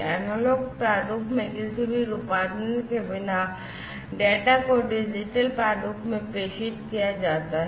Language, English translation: Hindi, Data is transmitted in digital format, without any conversion to the analog format